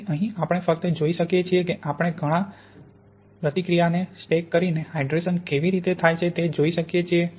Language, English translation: Gujarati, So here we just see how we can look at the hydration reaction by stacking up lots of therefore patterns